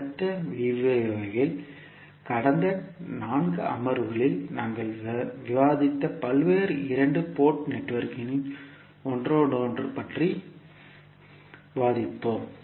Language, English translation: Tamil, In next lecture we will discuss about the interconnection of various two port networks which we have discussed in last 4 sessions, thank you